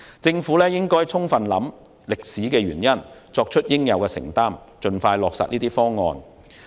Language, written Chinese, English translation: Cantonese, 政府應充分考慮歷史原因，作出應有的承擔，盡快落實這些方案。, The Government should fully consider the historical reasons make due commitments and implement these initiatives as soon as possible